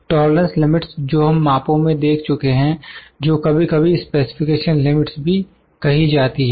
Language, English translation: Hindi, The tolerance limits that we have seen in the measurements, in the tolerances, those are sometime called as specification limits